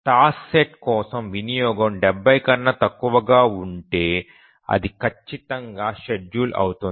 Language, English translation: Telugu, So if a task set is less the utilization for a task set is less than 70 percent, it will definitely be schedulable